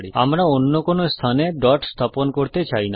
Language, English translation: Bengali, We do not want to place the dot at any other place